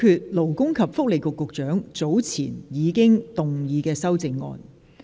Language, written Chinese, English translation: Cantonese, 現在表決勞工及福利局局長早前已動議的修正案。, The committee now votes on the amendment moved earlier on by the Secretary for Labour and Welfare